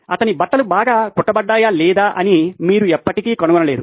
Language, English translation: Telugu, You probably never find out if his clothes have stitched well or not